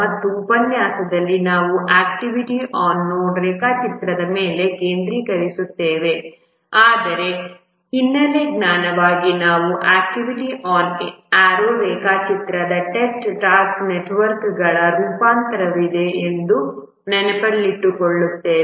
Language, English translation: Kannada, And in this lecture we will focus on the activity on node diagram, but as a background knowledge, we will just keep in mind that there is a variant of the task networks which are activity on RO diagram